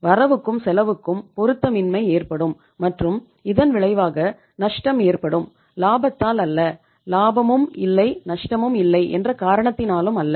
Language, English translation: Tamil, There is going to be a mismatch between the cost and revenue and finally the ultimately this will be a situation of the loss, not of the profit and not of the no profit no loss